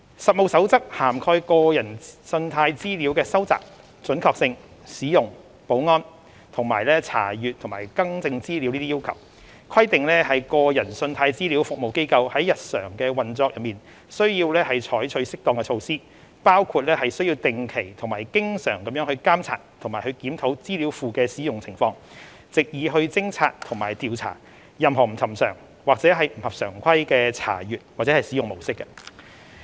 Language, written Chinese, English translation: Cantonese, 《實務守則》涵蓋個人信貸資料的收集、準確性、使用、保安，以及查閱及更正資料等要求，規定個人信貸資料服務機構在日常運作中須採取適當的措施，包括須定期及經常監察及檢討資料庫的使用情況，藉以偵察及調查任何不尋常或不合常規的查閱或使用模式。, The Code of Practice covers requirements governing the collection accuracy use and security of consumer credit information as well as data access and correction requests . The Code of Practice also requires consumer CRAs to take appropriate actions in daily operations including monitoring and reviewing on a regular and frequent basis usage of the database with a view to detecting and investigating any unusual or irregular patterns of access or use